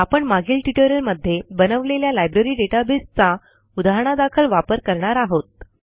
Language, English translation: Marathi, Let us consider the Library database example that we created in the previous tutorials